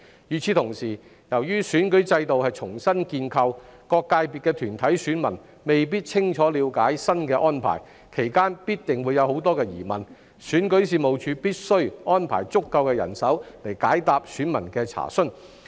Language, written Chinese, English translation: Cantonese, 與此同時，由於選舉制度是重新建構的，各界別分組的團體選民未必清楚了解新安排，其間必定會有很多疑問，選舉事務處必須安排足夠人手解答選民的查詢。, At the same time due to the reconstitution of the electoral system corporate voters of various subsectors may not understand the new arrangement clearly and they will surely have a lot of queries during the period . As such the Registration and Electoral Office must deploy adequate manpower to answer voters enquiries